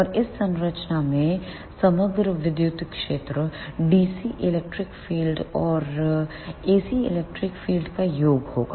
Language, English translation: Hindi, And the overall electric field in this structure will be sum of dc electric field and the ac electric field